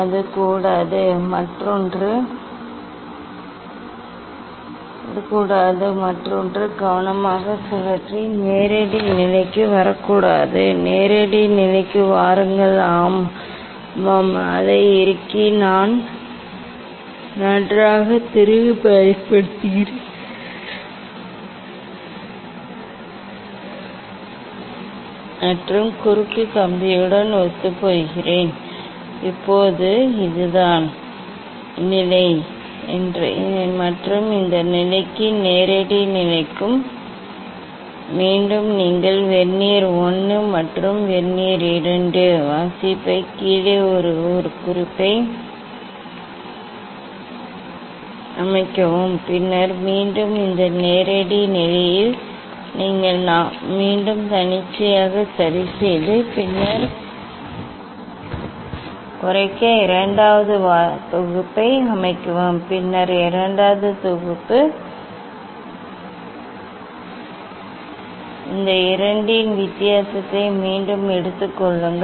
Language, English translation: Tamil, that it should not; other one should not rotate carefully and come to the direct position; come to the direct position yes, yes I am tighten it and use the fine screw and make it coincide with the cross wire, Now this is the position and for this position direct position again you take the reading from vernier 1 and vernier 2, a set 1 note down the reading, And then again you adjust arbitrarily again you set at this direct position, set second set to minimize the error second set, then third set, Then again take the difference of these 2